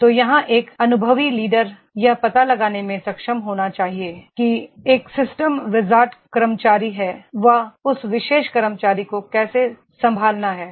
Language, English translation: Hindi, So an experienced leader here, he should be able to find out if there is a system wizard employee how to handle that particular employee